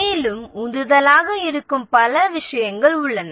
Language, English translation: Tamil, And there are several things which are motivators